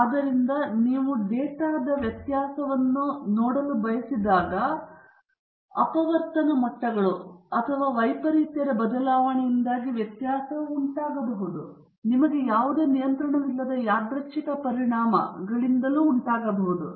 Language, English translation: Kannada, So, when you want look at the variability of the data, the variability can be caused by variation in the factor levels or the variability may be simply caused by random effects on which you have no control of